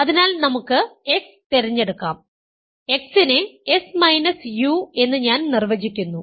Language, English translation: Malayalam, So, let us choose x to be let, I am defining x to be s minus u ok